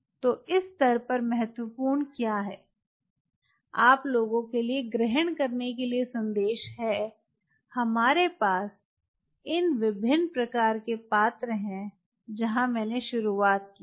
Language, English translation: Hindi, so at this stage, what is important, the take home message for you people is: yes, we have these different kind of vessels where i started with